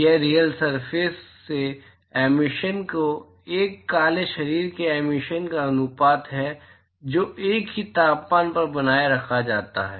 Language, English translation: Hindi, It is a ratio of the emission from the real surface with that of the emission from a black body which is maintained at the same temperature